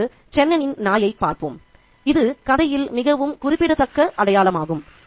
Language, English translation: Tamil, The dog, Chennan's dog is also a really significant symbol in the story